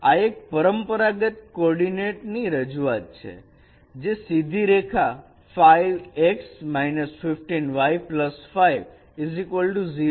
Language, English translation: Gujarati, And in the conventional coordinate representation representation this would be equivalent to the straight line 5x minus 15y plus 5 equals 0